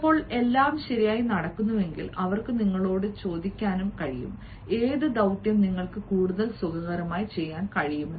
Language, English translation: Malayalam, sometimes, if everything goes well, they can also ask you: which task will you be able to do more comfortably, fine